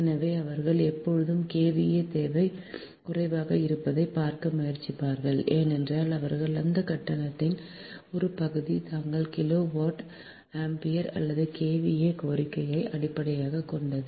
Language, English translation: Tamil, so thats why they will always try to see that kva demand is less because they one part of that tariff is based on their kilo volt, ampere or kva demand